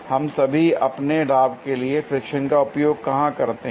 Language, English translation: Hindi, Where all do we use friction to our advantage